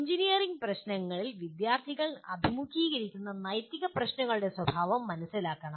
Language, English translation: Malayalam, Students should understand the nature of ethical problems they face in engineering practices